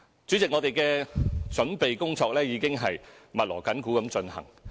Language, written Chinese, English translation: Cantonese, 主席，我們的準備工作已經密鑼緊鼓地進行。, President the preparation work is already in full swing